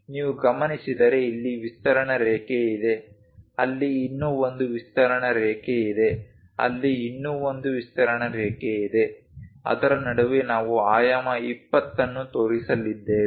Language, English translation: Kannada, If you are noticing here extension line here there is one more extension line there is one more extension line; in between that we are going to show dimension 20